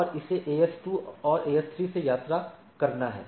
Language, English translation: Hindi, And it has to travel by AS 2 and AS 3